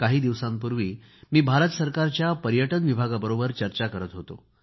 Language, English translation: Marathi, I was in a meeting with the Tourism Department recently